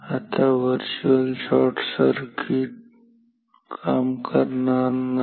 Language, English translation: Marathi, Now, virtual shorting will not work